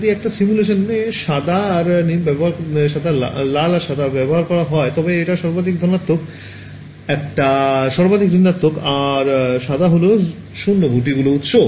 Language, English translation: Bengali, So, typically when you see a simulation of red and white then you should have assumed that one is maximum positive, one is maximum negative and white is 0 this dot that is the source